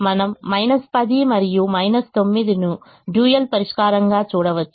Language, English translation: Telugu, we look at minus ten and minus nine as the dual solution